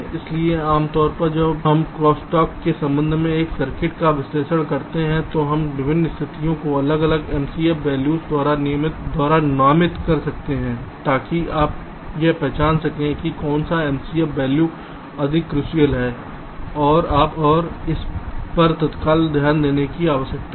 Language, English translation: Hindi, so usually when we analyze a circuit with respect to crosstalk ah, we can ah designate the different situations by different m c f values, so that you can identify that which m, c, f value is more crucial and needs means immediate attention